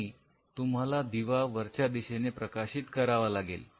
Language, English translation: Marathi, And you have to shining the light from the top